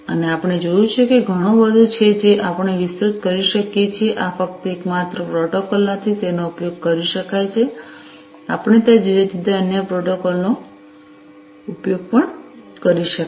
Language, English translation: Gujarati, And, we have seen that there is much more we could expand even further these are not the only protocols, that could be used; we could even use different other protocols that are out there